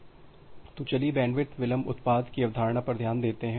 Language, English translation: Hindi, So, let us look into the concept of bandwidth delay product